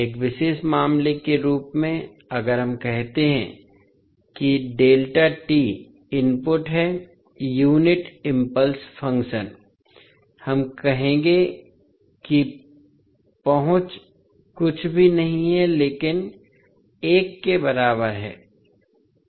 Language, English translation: Hindi, As a special case if we say that xd that is the input is unit impulse function, we will say that access is nothing but equal to one